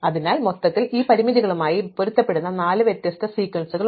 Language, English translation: Malayalam, So, overall there are four different sequences which are compatible with these constraints